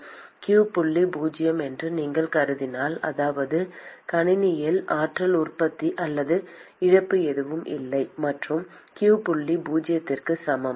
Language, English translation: Tamil, And supposing if you also assume that q dot is zero that is the there is no energy generation or loss inside the system no matter whatsoever and, q dot is also equal to zero